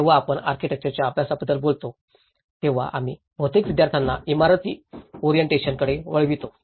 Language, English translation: Marathi, When we talk about an architecture study, we mostly orient our students into the building orientation